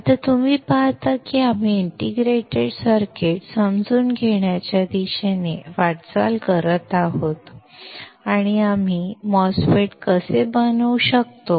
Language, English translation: Marathi, Now, you see we are moving towards understanding the integrated circuits and how we can fabricate a MOSFET